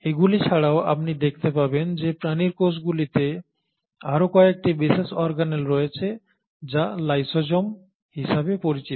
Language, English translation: Bengali, In addition to all this you also find that animal cells have some other special organelles which are called as the lysosomes